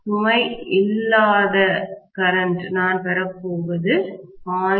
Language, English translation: Tamil, What I am going to get as a no load current is only 0